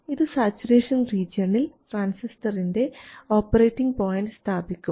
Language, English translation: Malayalam, First, let's try to keep the transistor in saturation region